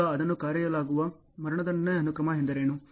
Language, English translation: Kannada, Now, what is called execution sequence